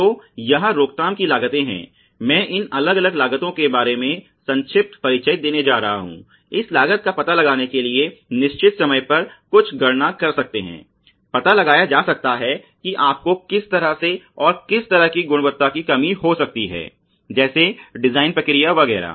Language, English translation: Hindi, So, there are prevention costs and I am going to give brief introduction about these different costs, may be do some calculations at certain time to figure out how this cost can be attributed you know and how quality loses can be sort of minimized by doing process design etcetera